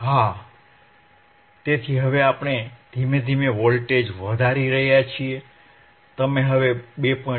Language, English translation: Gujarati, Yeah, so now we are slowly increasing the voltage, you can see now 2